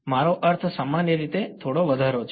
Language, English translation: Gujarati, I mean a little bit more generally